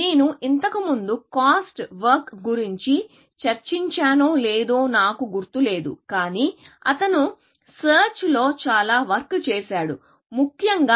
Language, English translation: Telugu, I do not remember, whether we have discussed cost work earlier, but he has done a lot of work in search, essentially